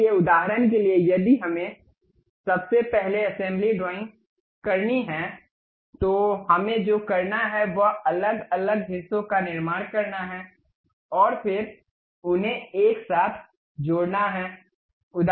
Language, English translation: Hindi, So, for example, if we have to do assembly drawings first of all what we have to do is construct different parts, and then join them together